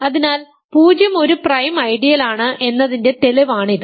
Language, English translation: Malayalam, So, this is the proof for the fact that 0 is a prime ideal